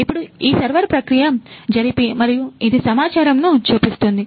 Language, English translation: Telugu, So, now this is the server, it is running and it is showing the data